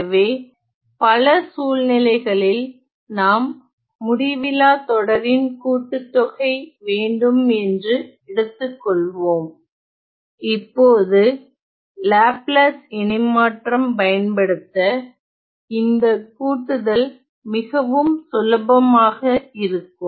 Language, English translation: Tamil, So, suppose in many situations, we have to sum up infinite series, now the summation becomes very easy if we are to use the Laplace transform